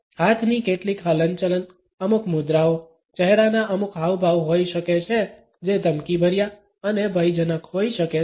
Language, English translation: Gujarati, There may be some hand movements, certain postures, certain facial expressions which can be threatening and menacing